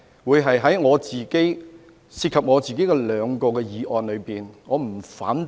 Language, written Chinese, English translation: Cantonese, 為何我昨天在涉及我個人的兩項議案不提出反對呢？, Why did I not oppose the two motions involving me yesterday?